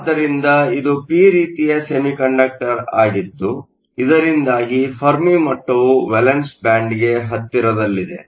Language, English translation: Kannada, So, it is a p type semiconductor so that the Fermi level is close to the valence band